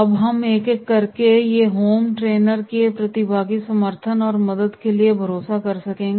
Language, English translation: Hindi, Now we will take one by one, these are the participants on home trainer can rely for support and help